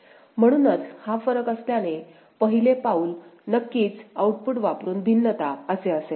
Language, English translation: Marathi, So, since this is the difference, the first step will be of course will be differentiation using output ok